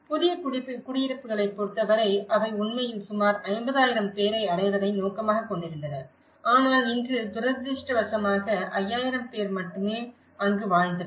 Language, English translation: Tamil, And in terms of the new dwellings, they actually aimed for about 50,000 people but today, unfortunately, only 5000 people lived there